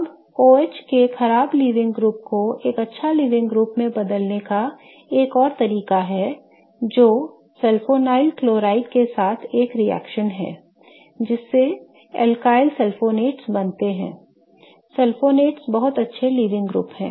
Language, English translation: Hindi, Now, another way to convert the bad living group of an OH to a good living group is a reaction with sulfonyl chloride, okay, to form something called as alkyl sulfonates and alkyl sulfonates, the sulfonates are very good leaving groups